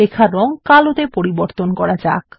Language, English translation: Bengali, Lets change the color of the text to black